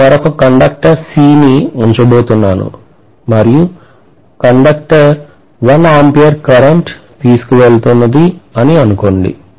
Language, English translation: Telugu, Let’s say at this point, I am going to place another conductor C, and let’s say the conductor is carrying 1 ampere of current